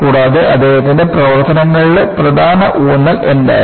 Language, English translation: Malayalam, And, what was the important emphasis from his work